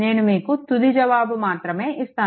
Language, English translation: Telugu, Only I give you the final answer